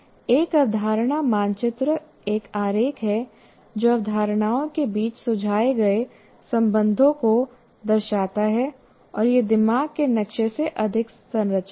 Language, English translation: Hindi, The concept map is a diagram that depicts suggested relations between concepts and it is more structured than a mind map